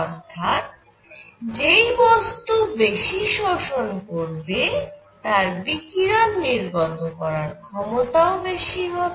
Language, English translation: Bengali, So, something that absorbs more will also tend to radiate more